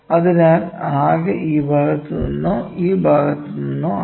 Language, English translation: Malayalam, So, overall total is from this side or this side